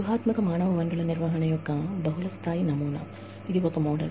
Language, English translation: Telugu, Multilevel model of strategic human resource management